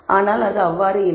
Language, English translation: Tamil, Clearly it is not so